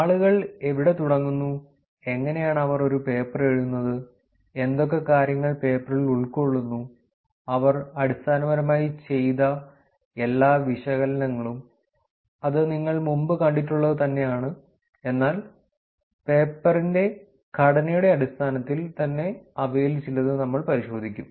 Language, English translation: Malayalam, Where do people start, how do they write a paper what all things fits into the paper, what all analysis that they have done essentially, it is looking at the content that you have seen in the past, but in terms of the structure of the paper itself we will go through some of them